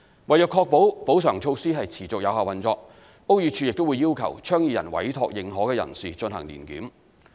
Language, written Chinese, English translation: Cantonese, 為確保補償措施持續有效運作，屋宇署會要求倡議人委託認可人士進行年檢。, BD would also require the project proponents to appoint an authorized person to conduct an annual inspection to ensure effective operation of the compensatory measures